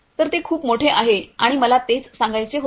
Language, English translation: Marathi, So, it is huge and that is what I wanted to tell you